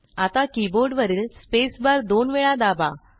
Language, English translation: Marathi, Now press the spacebar on the keyboard twice